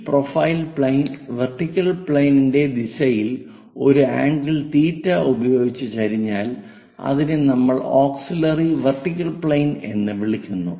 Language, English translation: Malayalam, If this profile plane tilted in the direction of vertical plane with an angle theta, we call that one as auxiliary vertical plane